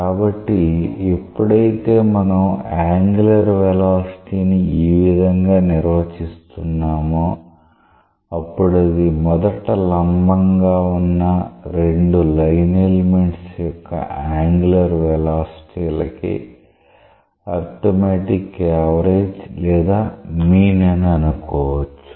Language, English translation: Telugu, So, when we say that we may define the angular velocity in this way that it may be thought of as the arithmetic average or arithmetic mean of the angular velocities of two line elements which were originally perpendicular to each other